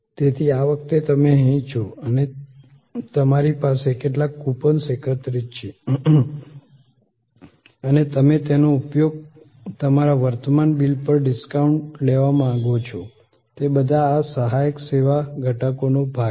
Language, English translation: Gujarati, So, this time you are here and you have some coupons collected and you want to use that as a discount on your current bill, all those are part of these supporting service elements